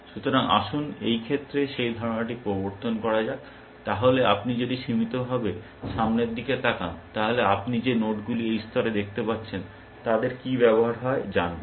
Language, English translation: Bengali, So, let us, let me introduce that idea at this movement, then if you are doing a limited look ahead, what is the use, because the nodes that you are going to look at this level